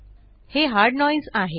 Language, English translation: Marathi, This is hard noise